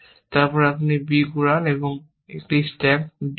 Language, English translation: Bengali, You just pick up b and stack on to d